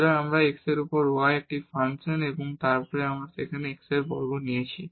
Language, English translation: Bengali, So, this is a function of y over x and then we have x square there